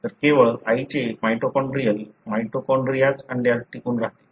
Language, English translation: Marathi, So, it is only the mitochondrial, mitochondria of the mother that is retained in the egg